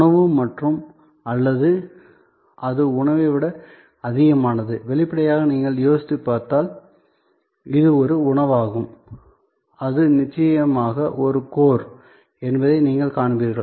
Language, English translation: Tamil, Food and or is it more than food and obviously, if you think through you will see, that it is a food is definitely the core